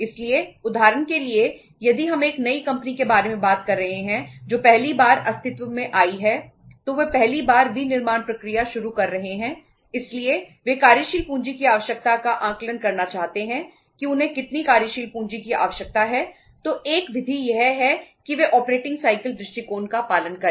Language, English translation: Hindi, So for example if we are talking about a new company which is coming into existence for the first time, they are starting the manufacturing process for the first time so they want to assess the working capital requirement how much working capital they require so one method is that they follow the operating cycle approach